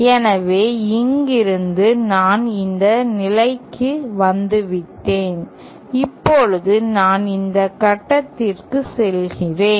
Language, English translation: Tamil, So, from here I have come to this point, now I am going to this point